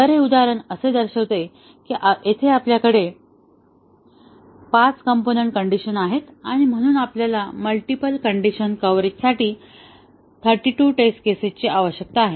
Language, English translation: Marathi, So, this example that shows that here we have 5 component conditions here, and therefore we need 32 test cases for multiple condition coverage